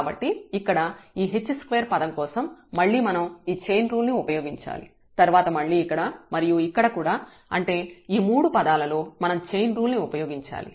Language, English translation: Telugu, So, here for h square term we have again here we have to use this chain rule then again here and here so, all these three terms